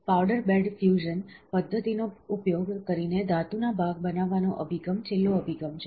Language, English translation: Gujarati, The last approach to metal part creation using powder bed fusion method is, the pattern approach